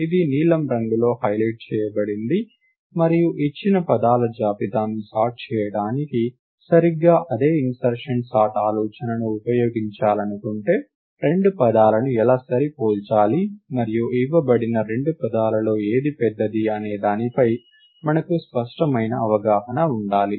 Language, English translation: Telugu, This is highlighted in blue, and if we wanted to use exactly the same insertion sort idea to sort a given list of words, then we must have a clear understanding of how to compare two words and which of given two words are ah